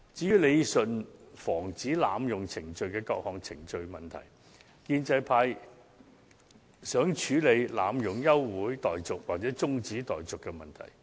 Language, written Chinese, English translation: Cantonese, 有關理順防止濫用程序問題的各項程序方面，建制派希望處理議員濫用休會待續或是中止待續的問題。, Regarding the various procedures aiming at rationalizing the prevention of abuse of procedure the pro - establishment camp wishes to deal with the problem of Members abusing adjournment of debate or proceedings of the Council